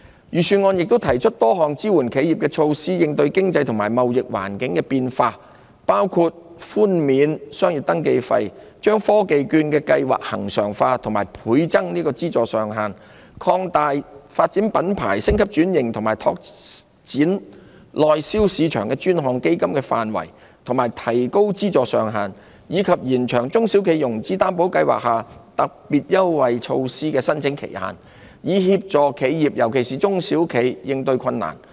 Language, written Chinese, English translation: Cantonese, 預算案亦提出多項支援企業的措施，應對經濟及貿易環境的變化，包括寬免商業登記費、把科技券計劃恆常化並倍增資助上限、擴大發展品牌、升級轉型及拓展內銷市場的專項基金範圍及提高資助上限，以及延長中小企融資擔保計劃下特別優惠措施的申請期限，以協助企業應對困難。, Various measures are also introduced in the Budget to support enterprises in tiding over the changes in the economic and trade environment . These measures include waiving the business registration fees regularizing the Technology Voucher Programme and doubling the funding ceiling extending the scope of the Dedicated Fund on Branding Upgrading and Domestic Sales and increasing the funding ceiling and extending the application period of the special concessionary measures under the SME Financing Guarantee Scheme to help enterprises face difficulties